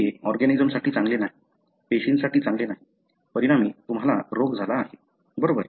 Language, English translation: Marathi, It is not good for the organism, not good for the cell, as a result you have the disease, right